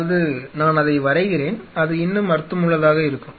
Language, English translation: Tamil, That mean draw it and that will make more sense